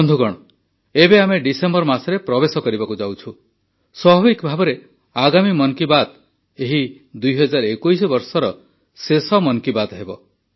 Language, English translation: Odia, It is natural that the next 'Mann Ki Baat' of 2021 will be the last 'Mann Ki Baat' of this year